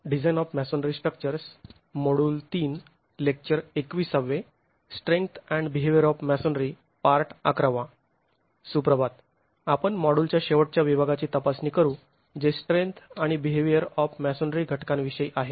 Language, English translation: Marathi, We'll examine the last segment of the course, the module that deals with strength and behavior of masonry components